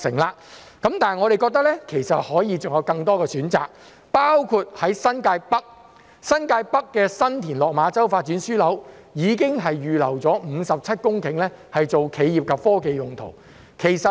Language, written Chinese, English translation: Cantonese, 不過，我們認為還可以有更多選擇，包括在新界北的新田落馬洲發展樞紐已經預留57公頃作企業及科技用途。, 2022 . However we think there can be more options including the 57 hectares of land already reserved for enterprise and technology use at San TinLok Ma Chau Development Node in New Territories North